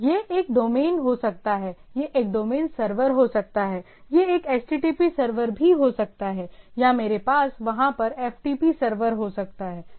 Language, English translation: Hindi, It can be a domain, it can be a domain server, it also can be a http server or I can have a FTP server over there